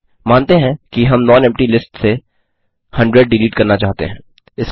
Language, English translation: Hindi, Lets say one wishes to delete 100 from nonempty list